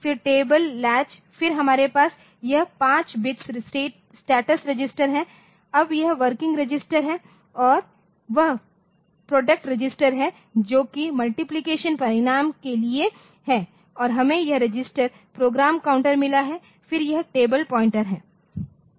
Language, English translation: Hindi, Then the table latch, then this we have the status flag 5 bits flag, then that the working register and there is a product register which is for multiplication result and we have got this the registers program counter, then this table pointers